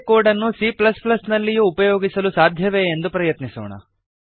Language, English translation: Kannada, Let see if i can use the same code in C++, too